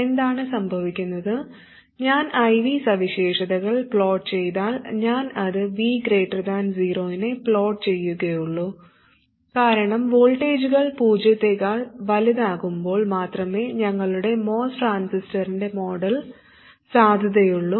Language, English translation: Malayalam, What happens is that if I do plot the I characteristic and I will plot it only for V greater than 0 because our model of the most transistor is valid only when the voltages are greater than 0